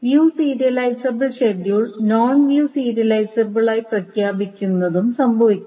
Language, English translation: Malayalam, But it may also happen that it declares a view serializable schedule to be non view serializable as well